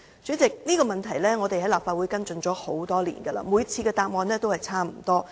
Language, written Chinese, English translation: Cantonese, 主席，這個問題我們在立法會已經跟進多年，每次得到的答覆也差不多。, President we have been following up this question in the Legislative Council for many years . Every time we received similar replies